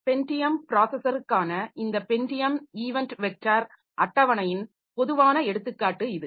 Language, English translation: Tamil, So, this is a typical example of a typical example of this Pentium event event vector table for Pentium process